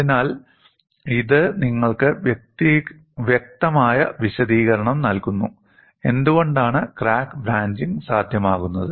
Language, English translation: Malayalam, So, this gives you a possible explanation, why crack branching is possible